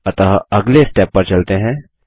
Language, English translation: Hindi, So let us go to the next step